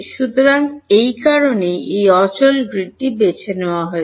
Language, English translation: Bengali, So, that is the reason why this staggered grid is chosen